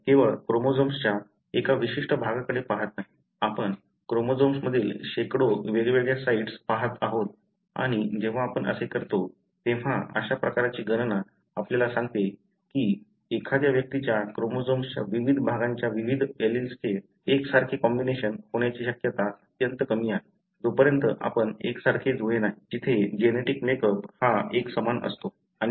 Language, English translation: Marathi, We are not just looking at one particular region of chromosome, you are looking at hundreds of different sites in the chromosome and when you do that, such kind of calculations tell the probability that an individual will have identical combination of various alleles of various regions of the chromosome is extremely low, unless you are identical twin, where the genetic makeup is identical